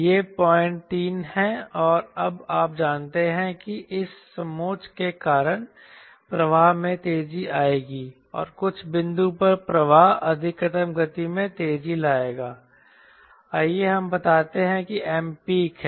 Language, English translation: Hindi, and now you know, because of this contour the flow will accelerate and at some point the flow will accelerate to maximum speed